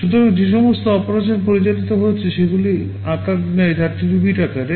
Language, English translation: Bengali, So, all operands that are being operated on are 32 bits in size